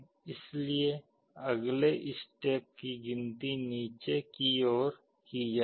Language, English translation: Hindi, So, the next step it will be counting down